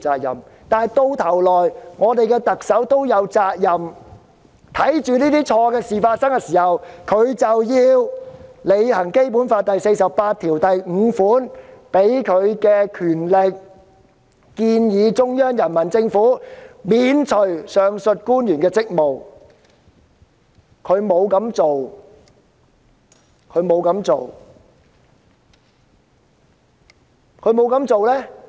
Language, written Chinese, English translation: Cantonese, 說到底，特首在這方面也有責任，她見到這些官員出錯，便應行使《基本法》第四十八條第五項賦予的權力，即"建議中央人民政府免除上述官員職務"，但她沒有這樣做。, After all the Chief Executive is responsible in this regard . Seeing that these officials have done wrong she should exercise the power conferred on her by Article 485 of the Basic Law ie . recommend to the Central Peoples Government the removal of the abovementioned officials but she has not done so